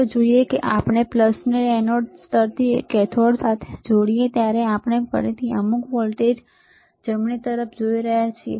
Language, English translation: Gujarati, Let us see when we are connecting positive to anode ground to cathode we are again looking at the some voltage right